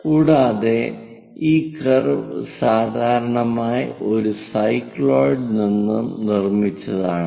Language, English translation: Malayalam, And this curve usually constructed by cycloid